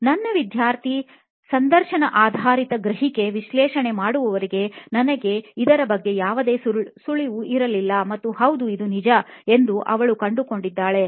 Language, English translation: Kannada, I had no clue about this part till my student did interview based perception analysis and she found out that yes, this is true